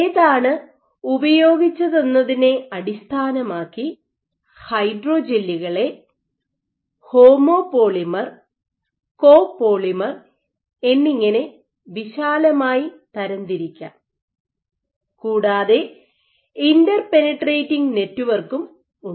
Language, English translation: Malayalam, So, based on the type used you may classify hydrogels broadly as a homo polymer, copolymers or you can have something called interpenetrating